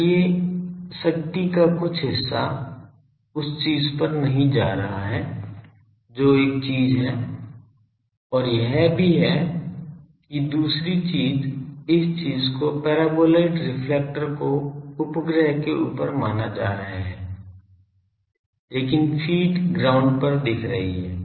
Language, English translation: Hindi, So, some portion of the power is not going to the way thing that is one thing also another thing is suppose this thing the paraboloid reflector is looking at top supposed to a satellite, but the feed is looking to the ground